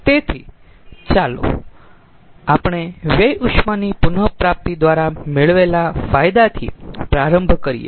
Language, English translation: Gujarati, so so let us start with the gains by waste heat recovery